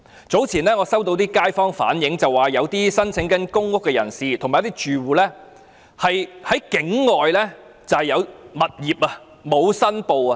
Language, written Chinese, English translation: Cantonese, 早前我收到一些街坊反映，指一些正在申請公屋的人和住戶其實在境外持有物業卻沒有申報。, Some time ago I received views conveyed by some local residents that some people and households applying for public rental housing PRH units actually own properties outside Hong Kong but have not made declarations accordingly